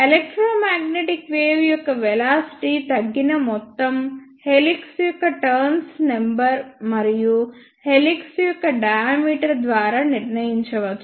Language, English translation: Telugu, The amount by which the velocity of electromagnetic wave is decreased that can be decided by the number of turns of the helix and the diameter of the helix